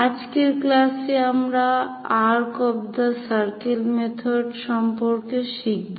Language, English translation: Bengali, So, in today's lecture, we have covered this arc of circles method